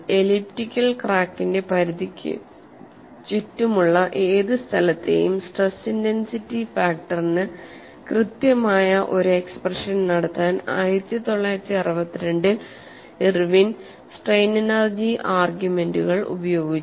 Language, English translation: Malayalam, Irwin in 1962 used strain energy arguments to derive an exact expression for the stress intensity factor at any point around the perimeter of elliptical crack which is very complex